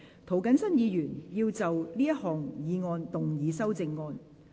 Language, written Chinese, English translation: Cantonese, 涂謹申議員要就這項議案動議修正案。, Mr James TO will move an amendment to this motion